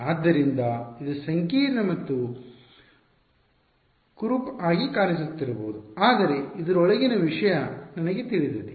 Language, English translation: Kannada, So, it may be looking complicated and ugly, but ever thing inside this is known to me